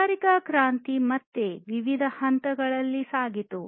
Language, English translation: Kannada, So, the industrial revolution again went through different stages